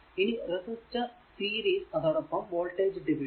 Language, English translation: Malayalam, So, series resistors and your voltage division